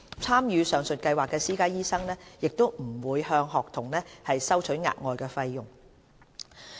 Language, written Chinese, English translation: Cantonese, 參與上述計劃的私家醫生不會向學童收取額外費用。, No extra fees will be charged by these participating private doctors for the service